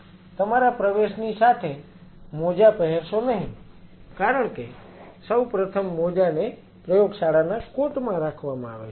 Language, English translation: Gujarati, Do not put on the gloves as your entering first of all keeps the gloves in the lab coat